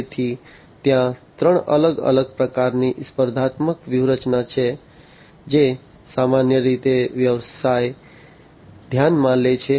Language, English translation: Gujarati, So, there are three different types of competing strategies that typically a business considers